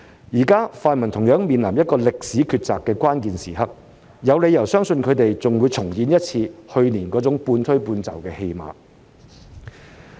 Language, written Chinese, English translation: Cantonese, 現在泛民同樣面臨歷史抉擇的關鍵時刻，有理由相信他們還會重演去年那種半推半就的戲碼。, Now the pan - democrats are also facing a critical moment in making this historical decision and I have reasons to believe that they will repeat what they did last year by accepting the arrangement while pretending to be reluctant